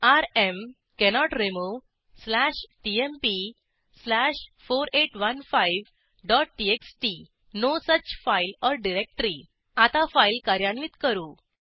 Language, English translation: Marathi, The error displayed is rm: cannot remove slash tmp slash 4815 dot txt: No such file or directory Now we will execute our file